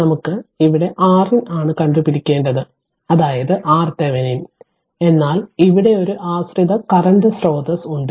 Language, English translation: Malayalam, You have to find out your R in that is your R Thevenin between R in means R thevenin, but here one dependent current source is there